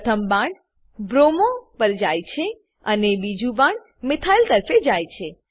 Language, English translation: Gujarati, One arrow moves to bromo and other arrow moves towards methyl